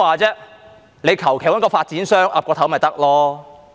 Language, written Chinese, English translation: Cantonese, 他們隨便找個發展商點頭便行了。, They can just casually find a developer to give them a nod